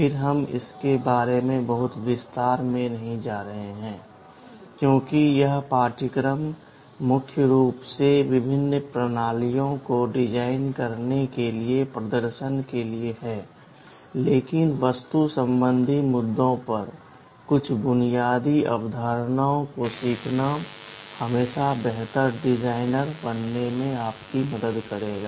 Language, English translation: Hindi, Again we shall not be going into very much detail of this because this course is primarily meant for a hands on demonstration for designing various systems, but learning some basic concepts on the architectural issues will always help you in becoming a better designer